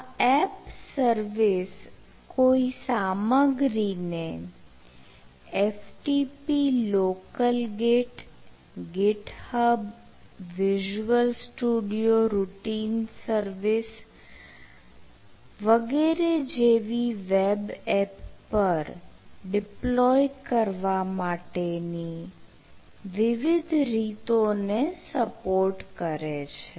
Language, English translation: Gujarati, so this app service supports several ways to deploy content to a web app, such as f t p, local git, git, hub, routine services, etcetera